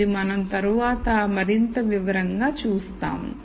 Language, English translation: Telugu, So, this we will see in more detail later